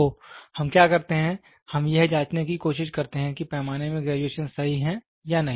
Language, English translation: Hindi, So, what we do is we try to check whether the graduations in the scale are perfect